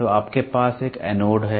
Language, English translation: Hindi, So, you have an anode